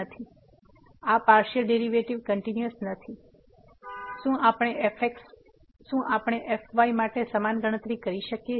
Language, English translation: Gujarati, Therefore, these partial derivatives are not continuous; did we can do the similar calculation for